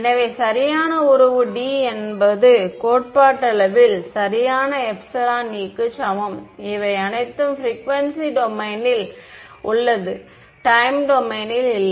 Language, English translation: Tamil, So, the correct the relation D is equal to epsilon E is theoretically correct only when these are in the frequency domain not in the time domain right